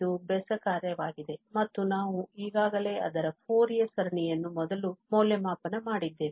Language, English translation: Kannada, And this is an odd function and we have already evaluated this Fourier series before